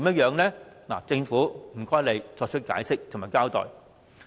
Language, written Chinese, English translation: Cantonese, 請政府作出解釋及交代。, I request an explanation from the Government